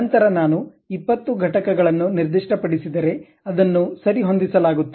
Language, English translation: Kannada, Then if I specify 20 units, it is adjusted